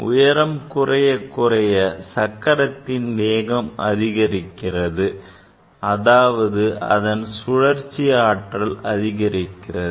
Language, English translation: Tamil, when height is decreasing and simultaneously the speed of the wheel is increasing, the rotational energy of the wheel is increasing, right